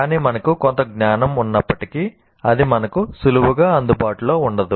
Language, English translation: Telugu, Even if there is some knowledge, it is not readily accessible to us